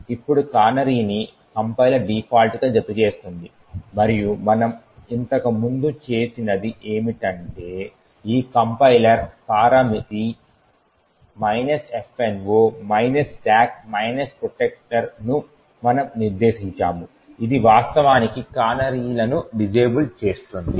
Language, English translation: Telugu, Now canaries is added by the compiler by default and what we have done previously was that we have specified this compiler parameter minus F no stack protector which would actually disable the canaries